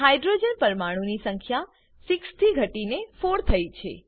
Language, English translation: Gujarati, Number of Hydrogen atoms reduced from 6 to 4